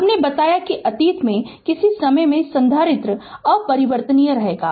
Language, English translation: Hindi, I told you that at the past in the past at some time, capacitor will remain uncharged